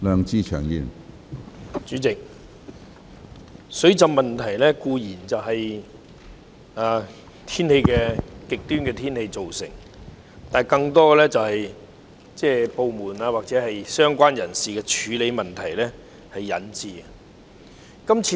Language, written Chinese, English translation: Cantonese, 主席，水浸固然是由極端天氣造成，但更多是由於部門或相關人士在處理上出現問題所引致。, President extreme weather is certainly a cause of flooding but more often than not it is due to problems in handling by the departments or the people concerned